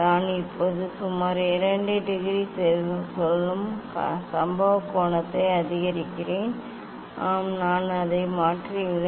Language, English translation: Tamil, I am now increasing the incident angle approximately 2 degree say; yes, I have change it